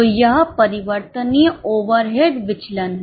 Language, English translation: Hindi, So, this is variable overhead variance